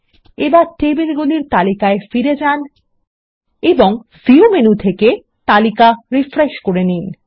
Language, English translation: Bengali, Let us go back to the Tables list and Refresh the tables from the View menu